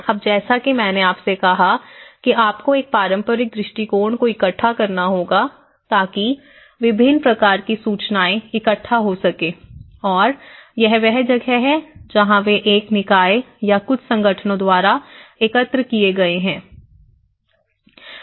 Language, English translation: Hindi, Now, as I said to you because you have to gather a traditional approach you have to gather a heap of information a variety of information and that is where they are based on by collected by one body or a few organizations